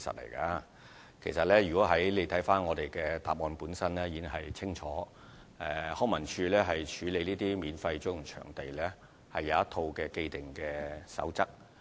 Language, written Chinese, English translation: Cantonese, 如果議員看看主體答覆，便會清楚知道康文署在處理免費租用場地的申請時，有一套既定守則。, If Members refer to the main reply they will note clearly that LCSD has laid down a set of established guidelines for processing applications for using non - fee charging venues